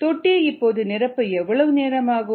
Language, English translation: Tamil, how long would it take to fill the tank, the